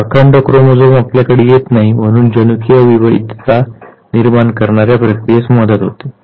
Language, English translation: Marathi, So the whole chromosome is not transmitted and therefore it facilitates the process of a genetic variation